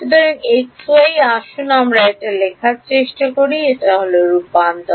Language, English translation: Bengali, So, x y let us try to write this out this is the transformation